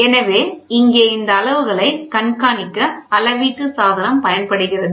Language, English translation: Tamil, Here the measured device is used for keep track of some quantities monitor